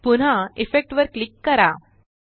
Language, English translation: Marathi, Again, click on Effect gtgt Noise Removal